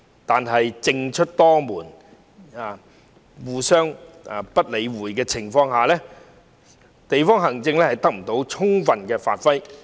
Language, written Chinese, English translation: Cantonese, 但是，在政出多門，互不理會的情況下，地區行政得不到充分發揮。, However fragmentation of responsibilities and a lack of coordination among government departments have prevented district administration from playing to its full strength